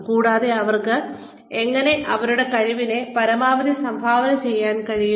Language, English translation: Malayalam, And, how they might be able to contribute to the best of their ability